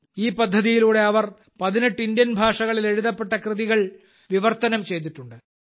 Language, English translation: Malayalam, Through this project she has translated literature written in 18 Indian languages